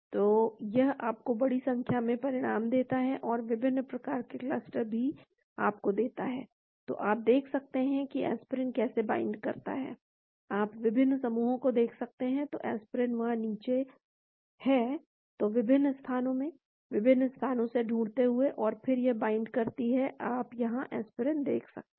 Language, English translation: Hindi, So, it gives you large number of results and different clusters also it gives you, so you can see how the aspirin binds , you can look at different clusters and , so aspirin has come down there, so in different locations; starting locations and then it binds , you can see the aspirin here